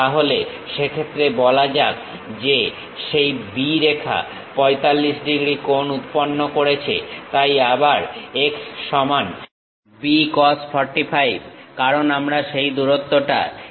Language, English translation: Bengali, Then in that case, let us call that line B making an angle of 45 degrees; so, B cos 45 is equal to again x; because we are again projecting that length onto this plane